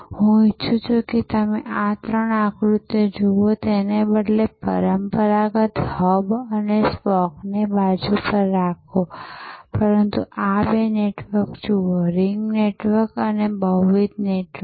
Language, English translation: Gujarati, And I would like you to see these three diagrams rather leave aside, this traditional hub and spoke, but look at these two networks, the ring network and the multi network